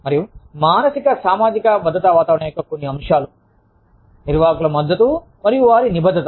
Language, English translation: Telugu, And, some of the elements of psychosocial safety climate are, management support and commitment